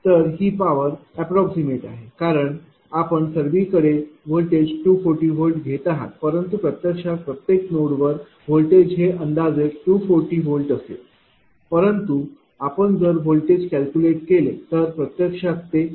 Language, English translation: Marathi, This is approximate one, this is approximate one why that everywhere you are taking the voltage is 240 volt right this is approximate one that every node voltage is actually 240 volt